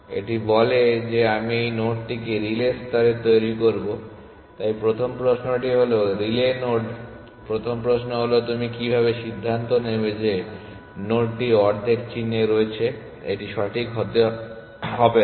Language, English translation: Bengali, It says I will make this node to the relay layer, so the first question is relay node the first question is how you decide that the node is at the half way mark it does not have to be exact